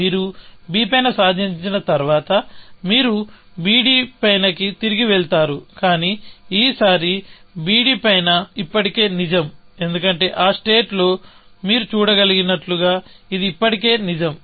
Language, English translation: Telugu, Once you achieved on b, you will go back to on b d, but this time, on b d is already true, because in that state, as you can see, it is already true